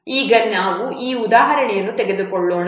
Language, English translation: Kannada, Now let's take this example